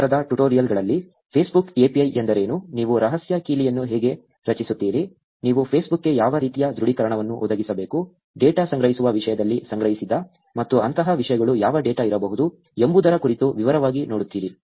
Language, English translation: Kannada, In tutorials this week, you will actually look at in detail about what a Facebook API is, how do you actually create the secret key, what kind of authentication that you will have to provide Facebook, in terms of collecting data, what data can be collected and things like that